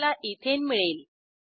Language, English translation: Marathi, Ethane is formed